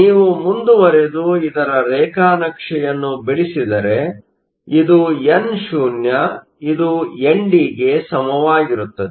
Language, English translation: Kannada, If you go ahead and plot this, this is nno; it is equal to ND